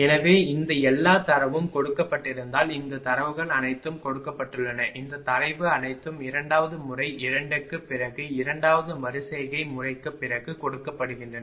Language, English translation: Tamil, So, put all these value because all these all these data are given, all these data are given, all these data are given after second method 2, after second iteration method